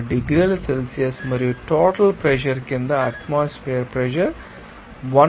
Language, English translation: Telugu, 2 degrees celsius and under the total pressure is atmospheric pressure that is 101